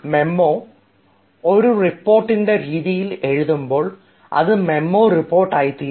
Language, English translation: Malayalam, when a memo is written in the form of a report, it becomes a memo report